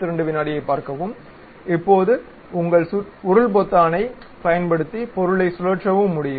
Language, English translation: Tamil, Now, still you can use your scroll button to really rotate the object also